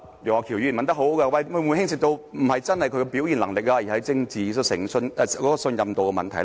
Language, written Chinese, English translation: Cantonese, 楊岳橋議員問得很好，這是否並非牽涉到他的表現能力，而只是政治信任度的問題？, Mr Alvin YEUNG asked a very good question of whether it has nothing to do with his performance but is only a matter of his political credibility